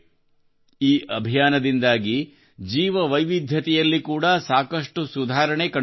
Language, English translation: Kannada, A lot of improvement is also being seen in Biodiversity due to this campaign